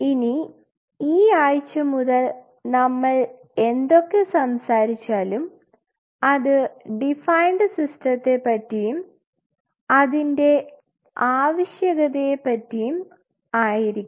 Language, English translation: Malayalam, Now, this week onward whatever we will be talking about we will be talking about a defined system and the need for such defined system